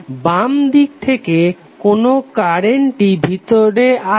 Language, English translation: Bengali, So what would be the current coming inside from left